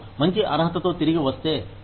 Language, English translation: Telugu, If they come back with a better qualification